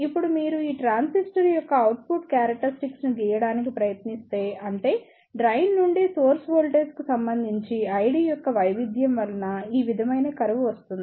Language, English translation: Telugu, Now, if you try to draw the output characteristics of this transistor; that means, the variation of I D with respect to variation in drain to source voltage you will the curves like this